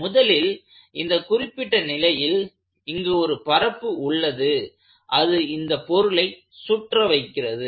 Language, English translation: Tamil, First of all in this particular instance I have a surface and then the objective of the surface is to keep the body from rotating